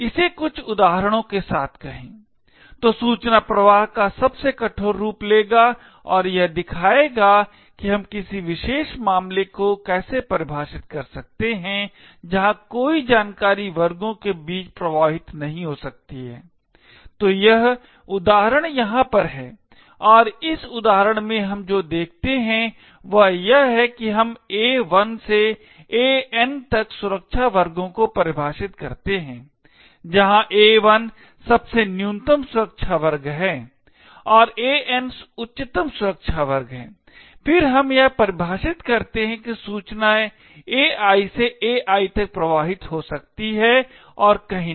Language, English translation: Hindi, Let say this with some examples, so will take the most strictest form of information flow and show how we can define a particular case where no information can flow between classes, so that is this example over here and what we see in this example is that we define security classes by the set A1 to AN, where A1 is the lowest security class and AN is the highest security class, then we define that information can flow from AI to AI and nowhere else